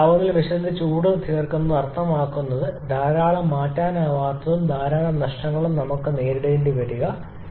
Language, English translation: Malayalam, And heat addition with high temperature difference means lots of irreversibilites and lots of losses